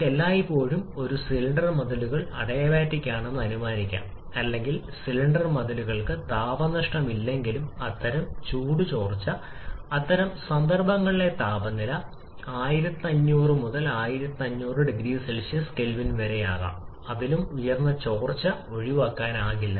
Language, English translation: Malayalam, Though we can assume always a cylinder walls to be adiabatic or whether there is no heat loss to the cylinder walls, but such kind of heat leakage particularly considering that the temperature in such cases can be in the range of 1500 to 2000 K or even higher such leakages are unavoidable